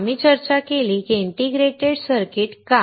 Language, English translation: Marathi, So, we discussed why integrated circuits